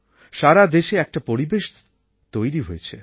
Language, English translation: Bengali, An atmosphere has certainly been created in the country